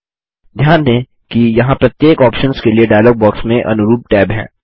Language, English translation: Hindi, Notice that there is a corresponding tab in the dialog box for each of these options